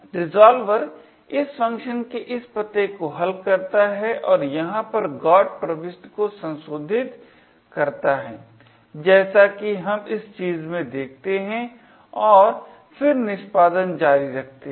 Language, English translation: Hindi, The resolver resolves this address of this function and modifies the GOT entry over here as we see in this thing and then continues the execution